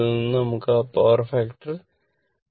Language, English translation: Malayalam, 8 but now we want to that power factor to 0